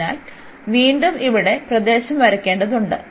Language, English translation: Malayalam, So, again we need to draw the region here